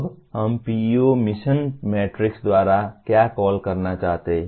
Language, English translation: Hindi, Now what do we want to call by PEO mission matrix